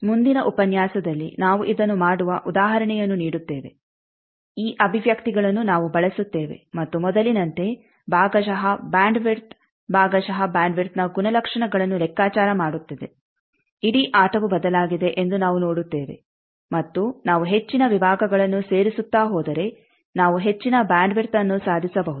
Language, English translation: Kannada, So, in terms of binomial coefficient, next lecture will give an example of doing this expressions will use and the fractional bandwidth like before will calculate the properties of fractional bandwidth that we will see that the whole game is changed, and if we go on adding more and more sections we can achieve higher and higher bandwidth